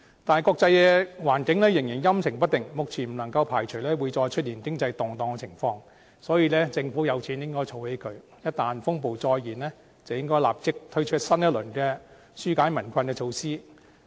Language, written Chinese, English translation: Cantonese, 但是，國際環境仍然陰晴不定，目前不能夠排除會再出現經濟動盪的情況，所以政府有錢便應該儲起來，一旦風暴再現，應該立即推出新一輪紓解民困的措施。, Nonetheless there are still uncertainties in the international environment . At the present moment we cannot exclude the possibility of any economic turmoil . Thus when the Government has money it should save up and should immediately put forward a new round of relief measures once there is any crisis